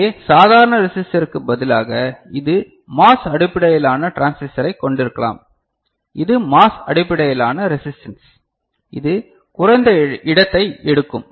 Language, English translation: Tamil, And here instead of normal resistor, you can have MOS based transistor, which is MOS based you know